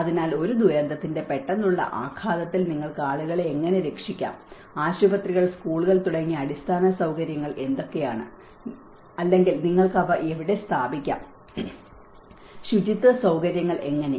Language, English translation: Malayalam, So, under the any immediate impact of a disaster one has to look at how you can safeguard the people, what are the facilities the basic like hospitals, schools or where you can put them, how the sanitation facilities